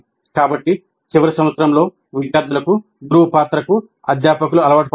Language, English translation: Telugu, So faculty are accustomed to the role of a mentor in the final year for the students in the final year